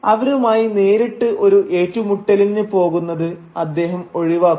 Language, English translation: Malayalam, And he avoids going into any direct confrontation with them